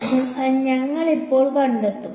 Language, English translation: Malayalam, So, that is we will locate now